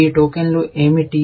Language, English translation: Telugu, What are these tokens